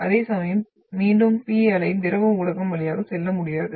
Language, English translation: Tamil, Whereas the and then again P wave will not be able to pass through the liquid medium